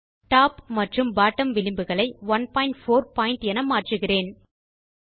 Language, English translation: Tamil, I will change Top and Bottom margins to 1.4pt